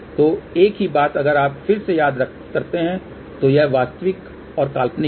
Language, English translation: Hindi, So, same thing if you recall again this is the real and imaginary